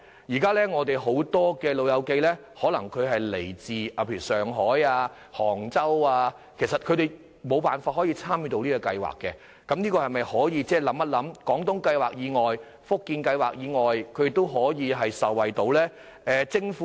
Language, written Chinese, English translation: Cantonese, 現時有很多長者來自上海、杭州等地，他們均無法參與有關計劃，所以，政府可否考慮在"廣東計劃"和"福建計劃"以外，訂定可讓他們受惠的計劃呢？, There are now many elderly persons coming from such places as Shanghai and Hangzhou but they cannot join the relevant schemes and is it possible for the Government to consider introducing schemes in addition to the Guangdong Scheme and the Fujian Scheme to benefit these elderly persons?